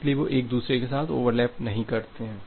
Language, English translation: Hindi, So, that they do not overlap with each other